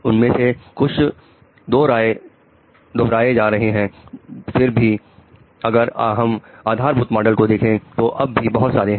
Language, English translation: Hindi, Some of them this may be repetitive but still if you look at the basic models still there are many